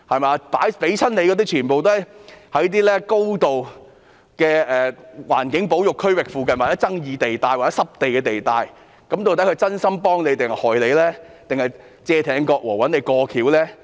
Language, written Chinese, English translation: Cantonese, 獲撥的土地全都位於高度環境保育區域附近的具爭議地帶或濕地地帶，究竟地產商是真心幫政府，還是要加害政府，"借艇割禾"而找政府"過橋"呢？, Consequently the Bureau has been put on the spot being suspected of causing destruction before construction . All the land lots allocated are situated near controversial zones or they are wetlands of high conservation value . Do property developers really want to help the Government or are they preying on the Government and utilizing the Government for achieving their own purpose?